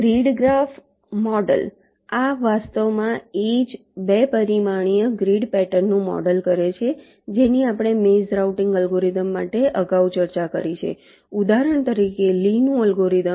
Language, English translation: Gujarati, this actually models the same two dimensional grid pattern that we are discussed earlier for bayes routing algorithm, like, for example, lees algorithm